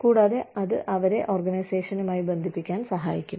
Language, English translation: Malayalam, And, that will in turn, help them bond with the organization